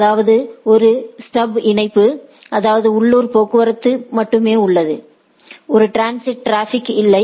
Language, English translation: Tamil, That means, it is a stub connection so, that is only have local traffic there is no transit traffic per say